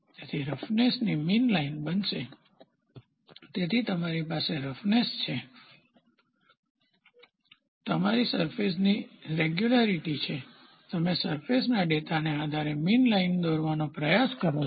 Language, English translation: Gujarati, So, the mean line of roughness is going to be, so, you have a roughness, you have a surface regularity, you try to draw a mean line based upon the surface data